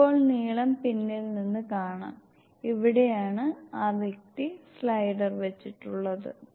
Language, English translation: Malayalam, Now the length can be seen from behind, this is where the person kept the slider